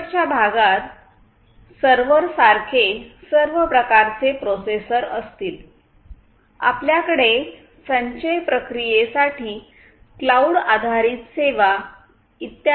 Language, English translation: Marathi, And this back end will would have all kinds of processors like servers; then you will have storage devices including cloud etc etc in the present context